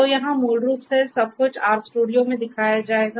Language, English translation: Hindi, So, here basically everything will be shown in the R studio